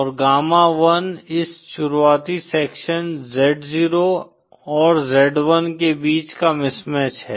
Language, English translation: Hindi, And gamma 1 is the mismatch between this beginning sections z0 & z1